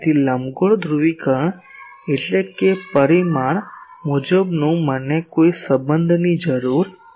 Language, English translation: Gujarati, So, elliptical polarisation means that magnitude wise; magnitude wise I do not require any relationship